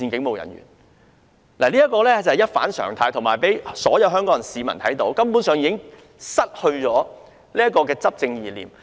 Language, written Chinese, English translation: Cantonese, 凡此種種，是一反常態的，而且讓所有香港市民看到，政府已失去管治意念。, All these things are abnormal and allow all Hong Kong citizens to see that the Government has lost its governance ideas